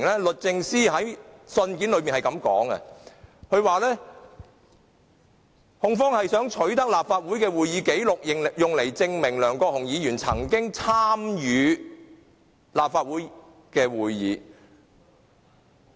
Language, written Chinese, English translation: Cantonese, 律政司在信件中說：控方想取得立法會的會議紀錄，用來證明梁國雄議員曾經參與立法會會議。, DoJ said in the letter that the Prosecution would like to obtain copies of proceedings and minutes so as to prove Mr LEUNG Kwok - hungs meeting attendance in Legislative Council meetings